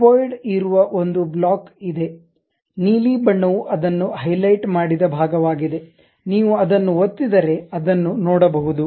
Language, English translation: Kannada, There there is a block the cuboid is there, the blue color is the portion where it is highlighted you are going to see that if you click it